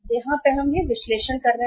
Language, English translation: Hindi, This is this analysis we will be making here